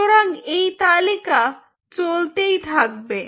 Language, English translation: Bengali, so this list can go on and on